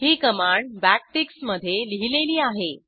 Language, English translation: Marathi, This command is enclosed within backticks